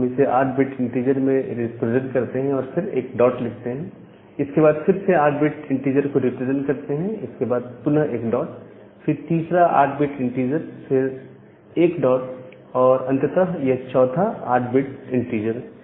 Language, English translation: Hindi, So, we represent it in a 8 bit integer, and then put a dot, then again represent this as 8 bit integer, so this 8 bit integer, again a dot, the third 8 bit integer a dot and a final 8 bit integer